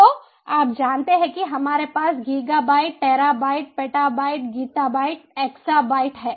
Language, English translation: Hindi, so you know, we have ah, giga byte, tera byte, beta byte, gita byte, exabyte, right